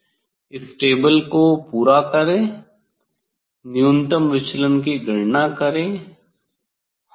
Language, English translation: Hindi, complete this table, calculate the minimum deviation calculate the minimum deviation yes